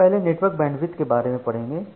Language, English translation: Hindi, So first let us look into the network bandwidth